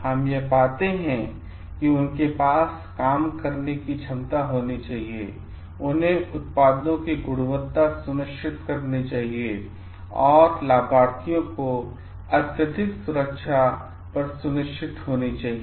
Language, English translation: Hindi, What we find they should have the competence for doing the work, they should be ensuring on the quality of the products and they should be ensuring on the safety of the beneficiaries at large